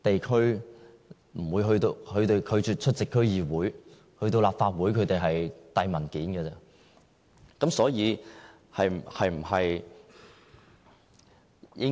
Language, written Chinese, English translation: Cantonese, 他們拒絕出席區議會，前往立法會也只是遞交文件而已。, Even when they go to the Legislative Council they would only submit documents